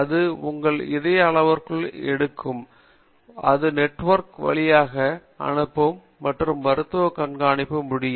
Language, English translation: Tamil, So, it takes your heart parameters and it sends over a network and doctor can monitor